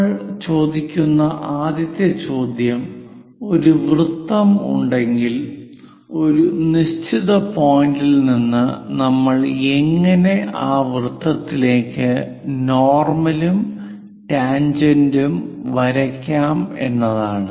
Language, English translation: Malayalam, The first question what we will ask is, if there is a circle how to draw normal and tangent to that circle from a given point